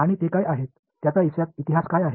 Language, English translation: Marathi, And what are the, what is the history of it